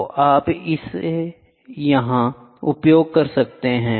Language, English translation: Hindi, So, you can use it here